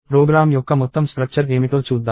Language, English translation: Telugu, So, let us check what the overall structure of the program is